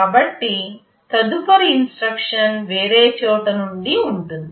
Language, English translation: Telugu, So, the next instruction will be from somewhere else